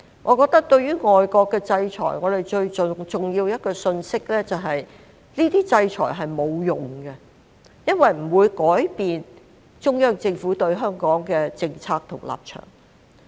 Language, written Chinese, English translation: Cantonese, 我覺得對於外國的制裁，最重要的一個信息就是這些制裁是沒有用的，不會改變中央政府對香港的政策和立場。, I think the most important message in response to these sanctions is that they are futile in changing the Central Governments policy and position on Hong Kong